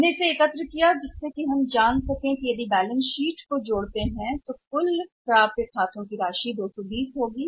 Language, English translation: Hindi, We segregated it, so that we can find out that if you summed it up in this balance sheet, the total accounts receivable amount will become 220